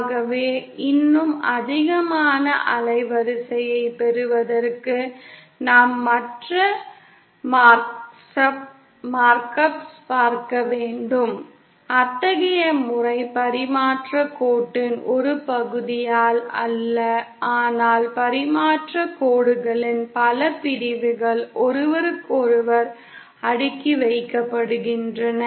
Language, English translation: Tamil, so then we have to look to other mark ups to obtain an even higher band width, such a method is obtained not by one section of transmission line but many sections of transmission lines cascaded with each other